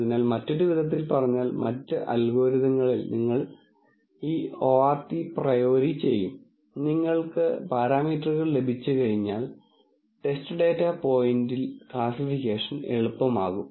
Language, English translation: Malayalam, So, in other words, in other algorithms you will do all the e ort a priori and once you have the parameters then classification becomes, on the test data point becomes, easier